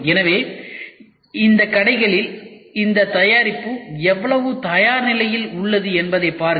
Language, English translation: Tamil, So, look at the amount of readiness which this product has in these stores